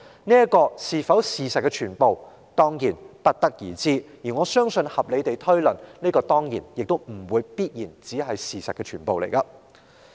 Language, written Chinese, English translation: Cantonese, 至於這會否就是事實的全部，自是不得而知，但根據我的合理推論，這當然不可能會是事實的全部了。, I am not sure whether what we saw is the whole truth . Yet this cannot be the whole truth according to the reasonable inference that I have drawn